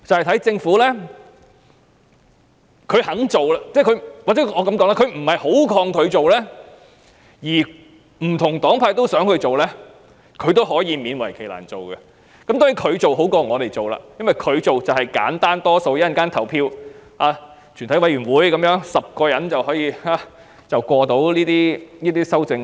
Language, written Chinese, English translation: Cantonese, 當政府不太抗拒提出修正案，而不同黨派也想這樣做，政府就會勉為其難去做，而政府做比我們做更好，因為簡單得多，只要在稍後的全體委員會審議階段取得10票便可通過。, When the Government is not too resistant to move amendments and given the support of Members of different political affiliations the Government will reluctantly move the amendments . It will be better if the amendments are moved by the Government than by us because the process is much easier . The amendments moved by Government can be passed if only 10 votes can be acquired in the Committee stage later